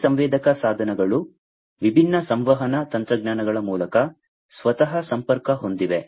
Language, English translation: Kannada, These sensor devices are connected themselves, through different communication technologies